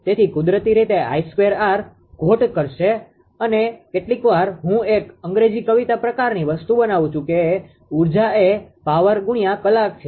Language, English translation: Gujarati, So, naturally I square r loss will it is, and sometimes sometimes I make one English rhyme type of thing that energy is power multiplied by hour